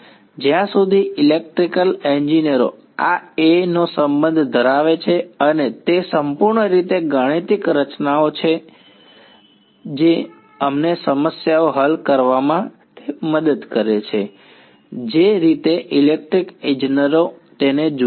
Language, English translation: Gujarati, As far as electrical engineers are concerned this A and phi are purely mathematical constructs which are helping us to solve the problems that is how electrical engineers look at it